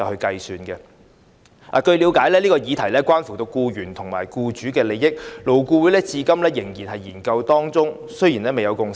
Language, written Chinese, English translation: Cantonese, 據了解，這項議題關乎僱員和僱主利益，勞工顧問委員會至今仍在研究當中，未有共識。, It is understood that this subject is related to the interests of employees and employers . The Labour Advisory Board is still conducting a study and a consensus has not been reached